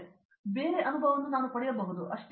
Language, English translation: Kannada, So, that I can get a different experience, that’s all